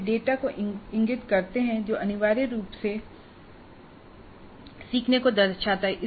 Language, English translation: Hindi, They indicate data which essentially reflects the learning